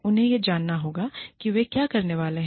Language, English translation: Hindi, They need to know, what they are supposed to do